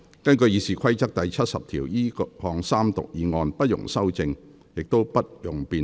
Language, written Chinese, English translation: Cantonese, 根據《議事規則》第70條，這項三讀議案不容修正，亦不容辯論。, In accordance with Rule 70 of the Rules of Procedure the motion for Third Reading shall be voted on without amendment or debate